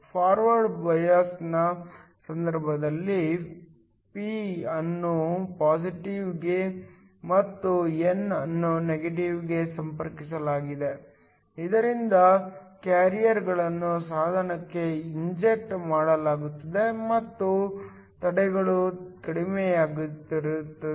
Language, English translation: Kannada, In the case of a forward bias the p is connected to positive and n is connected to negative, so that carriers are injected into the device and the barriers are lower